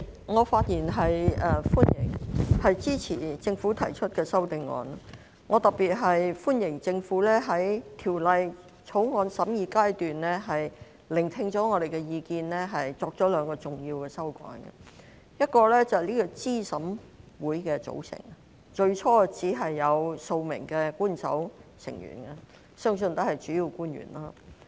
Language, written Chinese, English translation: Cantonese, 我特別歡迎政府在《2021年完善選舉制度條例草案》審議階段聆聽我們的意見後，作出兩項重要的修改，一是候選人資格審查委員會的組成，最初只有數名官守成員，相信也是主要官員。, In particular I welcome two important amendments made by the Government after listening to our views at the scrutiny stage of the Improving Electoral System Bill 2021 the Bill . One of them is about the composition of the Candidate Eligibility Review Committee CERC which initially consisted of only several official members whom I believe would be principal officials